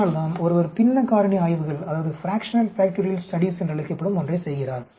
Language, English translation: Tamil, That is why one goes about doing something called the fractional factorial studies